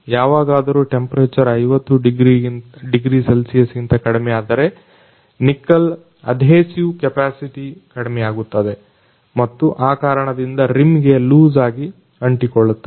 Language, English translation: Kannada, In case when the temperature is lower than 50 degrees Celsius then adhesive capacity of the nickel lowers and hence loosely sticks to the rim